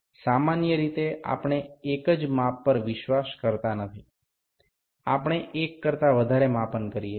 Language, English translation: Gujarati, Generally, we do not trust the single measurements we do multiple measurements